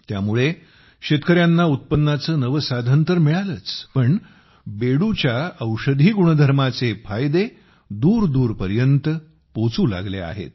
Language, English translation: Marathi, Due to this, farmers have not only found a new source of income, but the benefits of the medicinal properties of Bedu have started reaching far and wide as well